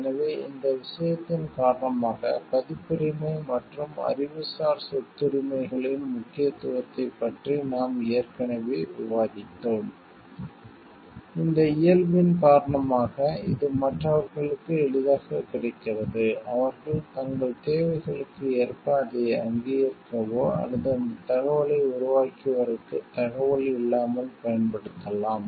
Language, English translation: Tamil, So, because of this thing we have already discussed about the importance of copyrights and intellectual property rights, because these because of this nature like it is become easily available to others and others who can use it as per their like requirements without even acknowledging, or referring to the original creator of that information